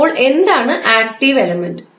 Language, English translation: Malayalam, So, active element is what